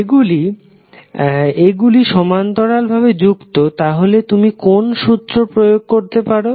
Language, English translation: Bengali, So since these two are in parallel, what you can apply